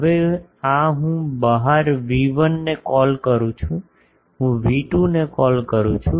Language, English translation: Gujarati, Now, this one I am calling V1 outside, I am calling V2